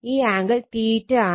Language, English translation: Malayalam, So, angle 76